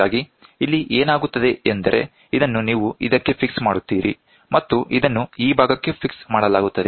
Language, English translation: Kannada, So, here what happens is, you will have this is fixed to this and this is fixed to this portion